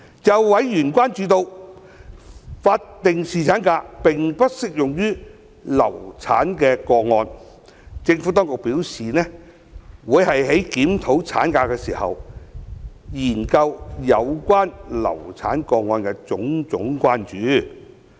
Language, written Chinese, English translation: Cantonese, 就委員關注到，法定侍產假並不適用於流產個案，政府當局表示，會在檢討產假時，研究有關流產個案的種種關注。, In response to members concern over statutory paternity leave being inapplicable to a miscarriage the Administration says that it will look into various issues in relation to miscarriage cases when conducting the review on maternity leave